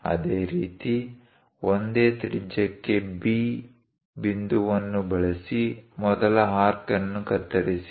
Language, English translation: Kannada, Similarly, use B point for the same radius; cut that first arc